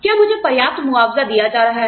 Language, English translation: Hindi, Am I being compensated, enough